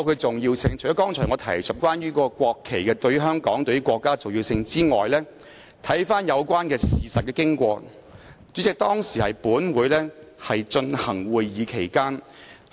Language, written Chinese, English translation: Cantonese, 除了我剛才提述關乎國旗對香港及國家的重要性外，如回顧有關事實的經過，代理主席，當時本會正進行會議。, Apart from the importance of the national flag to Hong Kong and the State if we trace the course of events Deputy President this Council was in the middle of a meeting back then